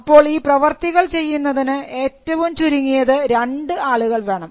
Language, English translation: Malayalam, So, an act requires at least two people to deal with each other